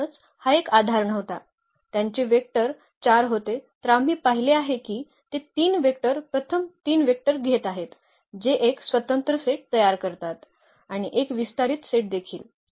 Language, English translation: Marathi, Therefore, it was not a basis so, their vectors were 4 while we have seen that taking those 3 vector first 3 vectors that form a linearly independent set and also a spanning set